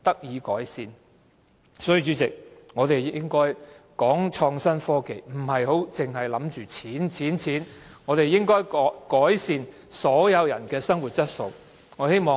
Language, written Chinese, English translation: Cantonese, 因此，主席，我們談創新科技時，不應只着眼金錢，應該改善所有人的生活質素。, Therefore President we should not focus merely on money when we talk about innovation and technology . We should also improve the quality of life for all